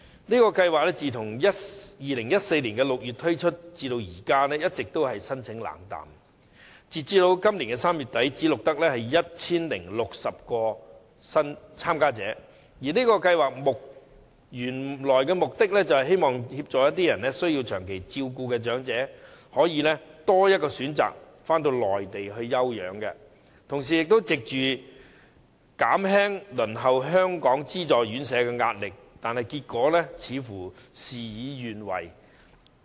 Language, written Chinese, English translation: Cantonese, 試驗計劃自2014年6月推出至今，一直申請冷淡，截至今年3月底只錄得 1,060 名申請者，而試驗計劃的原意是協助需接受長期照顧的長者，給予他們多一項選擇，返回內地休養，同時藉此減輕輪候香港資助院舍的壓力，但結果卻似乎事與願違。, As at late March this year merely 1 060 applications were recorded . The original intention of the Pilot Scheme is to offer assistance to elderly people in need of long - term care and provide them with the additional option of recuperating on the Mainland . At the same time this may alleviate their pressure of waiting for subsidized residential care homes for the elderly in Hong Kong